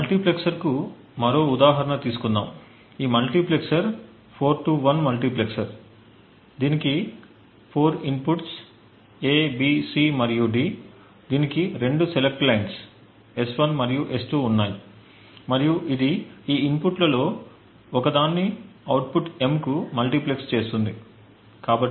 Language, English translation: Telugu, this multiplexer is a 4 to 1 multiplexer, it takes 4 inputs A, B, C and D, it has two select lines S1 and S2 and it multiplexes one of these inputs to the output M